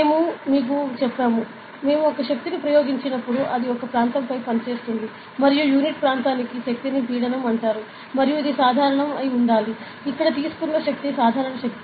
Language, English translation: Telugu, So, we told you that, when we apply a force it acts on an area and that force per unit area is called as pressure and it should be normal, the force taken here is the normal force